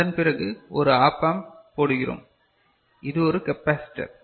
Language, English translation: Tamil, After that you are putting a op amp and this is a capacitor